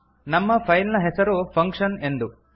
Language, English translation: Kannada, Note that our filename is function